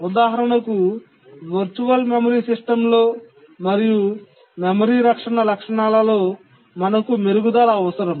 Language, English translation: Telugu, For example, in the virtual memory system and in the memory protection features, we need improvement